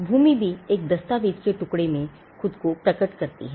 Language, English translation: Hindi, Land is also the title in a land also manifest itself in a piece of a document